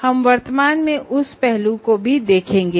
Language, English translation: Hindi, We will presently see that aspect